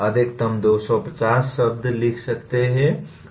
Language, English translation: Hindi, A maximum of 250 words can be written